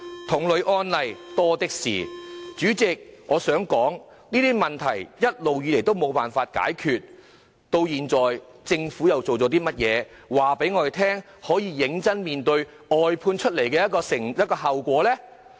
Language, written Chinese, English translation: Cantonese, 代理主席，這些問題一直無法解決，現時政府又做了些甚麼，可以顯示它會認真面對外判衍生的後果呢？, Deputy President all along these problems have remained unsolved . Now what has the Government done that indicates that it will seriously address the consequences of outsourcing?